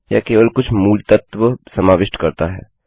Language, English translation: Hindi, This will just cover some of the basics